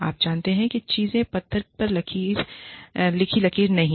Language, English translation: Hindi, You know, these things, are not set in stone